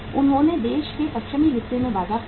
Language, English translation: Hindi, They lost the market in the western part of the country